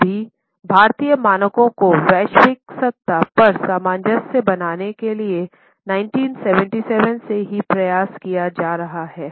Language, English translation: Hindi, Now an effort has been made right from 1977 to harmonize Indian standards with the global standards